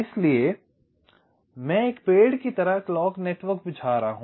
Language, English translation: Hindi, so i am laying out the clock network like a tree